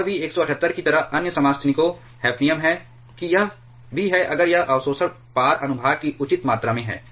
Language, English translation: Hindi, And also, other isotopes hafnium like 178 that is also if it reasonable amount of absorption cross section